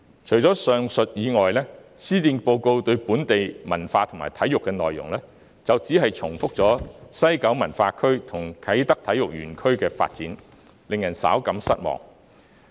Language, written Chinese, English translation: Cantonese, 除了上述內容外，施政報告中有關本地文化和體育的內容，只是重複提及西九文化區和啟德體育園區的發展，令人稍感失望。, Apart from the above on local cultural and sports development the Policy Address has merely repeated the development of the West Kowloon Cultural District and the Kai Tak Sports Park KTSP which is slightly disappointing